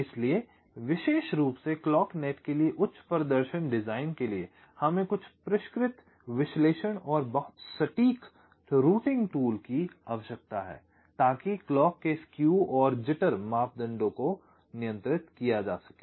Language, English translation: Hindi, ok, so for high performance design, particularly for the clock net, we need some sophisticated analysis and very accurate routing tools so as to control the skew and jitter ah parameters of the clock